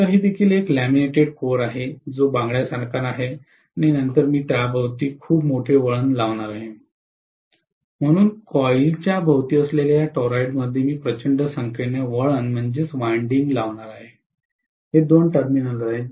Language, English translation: Marathi, So that is also a laminated core which is like a bangle and then I am going to put huge number of turns around it, so in this toroid which is actually around the coil I am going to make huge number of turns, these are the two terminals that are available